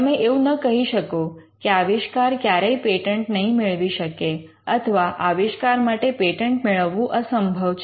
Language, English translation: Gujarati, You do not say that the invention is never patentable or you do not say that the invention cannot be patented